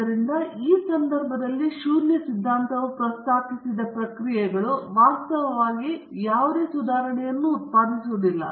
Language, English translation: Kannada, So, the null hypothesis in this case would be the processes proposed is actually not producing any improvement